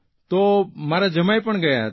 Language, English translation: Gujarati, Our son in law too had gone there